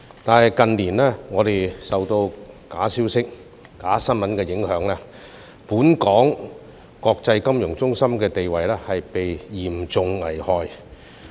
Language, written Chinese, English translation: Cantonese, 可是，近年我們受到假消息和假新聞的影響，本港國際金融中心的地位被嚴重危害。, However in recent years we have been affected by false information and fake news and the status of Hong Kong as an international financial centre has been seriously jeopardized